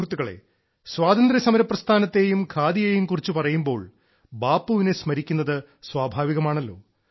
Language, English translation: Malayalam, Friends, when one refers to the freedom movement and Khadi, remembering revered Bapu is but natural